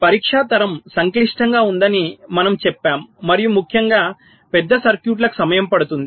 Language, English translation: Telugu, we also said the test generation is complex and it takes time, particularly for larger circuits